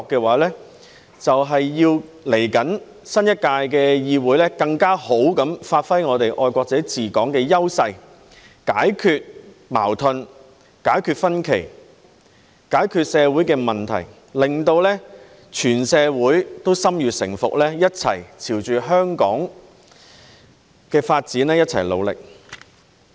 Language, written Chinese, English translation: Cantonese, 為此，稍後新一屆的議會便要更好地發揮我們"愛國者治港"的優勢，解決矛盾、解決分歧、解決社會問題，令全社會都心悅誠服，朝着香港的發展目標一齊努力。, To this end the forthcoming new Council should better utilize our advantage of patriots administering Hong Kong to resolve conflicts differences and social problems so that the whole community will be convinced to work together towards the developmental goals of Hong Kong